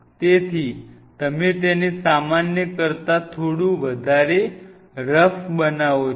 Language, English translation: Gujarati, So, you actually make it slightly more rough than normal